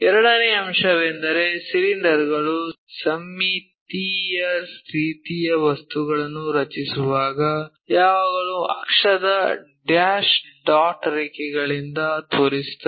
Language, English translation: Kannada, Second thing whenever we are drawing the cylinders symmetric kind of objects, we always show by axis dash dot lines